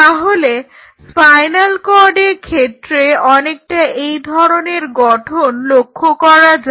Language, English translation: Bengali, So, it is very interesting the spinal cord is kind of like this